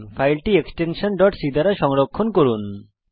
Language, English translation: Bengali, Save the file with .c extension